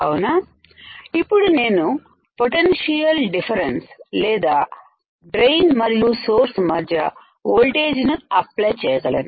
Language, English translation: Telugu, Now, I can apply potential difference or voltage; voltage between drain and source